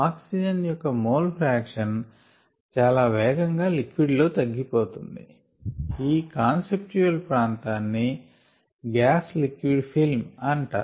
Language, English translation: Telugu, the mole fraction of oxygen requires quiet decreases quite drastically in the liquid, and this conceptual region is called the gas liquid film